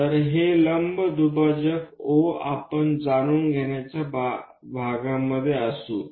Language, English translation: Marathi, So, that perpendicular bisector O we will be in a portion to know